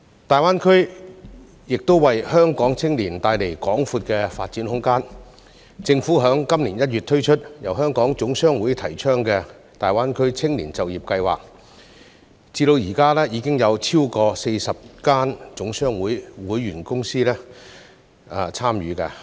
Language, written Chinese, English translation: Cantonese, 大灣區亦為香港青年帶來廣闊的發展空間，政府在今年1月推出由香港總商會提倡的大灣區青年就業計劃，至今已有超過40家總商會會員公司參與。, GBA also offers a wide range of development opportunities for young people in Hong Kong . The Government launched the Greater Bay Area Youth Employment Scheme advocated by the Hong Kong General Chamber of Commerce HKGCC in January this year and more than 40 HKGCC member companies have participated so far